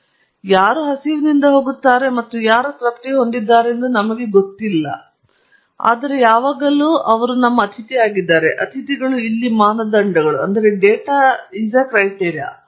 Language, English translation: Kannada, We do not know who will go hungry and who will go satisfied, but the bottom line is they will always be some guests who will go hungry and the guests here are parameters